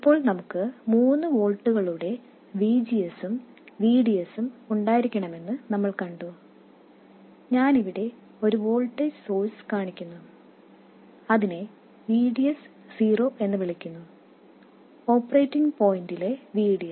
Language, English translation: Malayalam, Now, we saw that we had to have a VGS of 3 volts and VDS I am showing a voltage source here, I will call it VDS 0, the VDS at the operating point